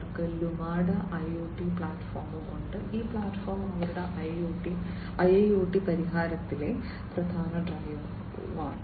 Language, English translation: Malayalam, So, they have the Lumada IoT platform and this platform basically is the key driver in their IIoT solution